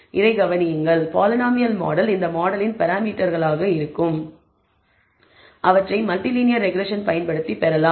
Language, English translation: Tamil, Notice this, the polynomial model, can also be the parameters of this model can be obtained using multi linear regression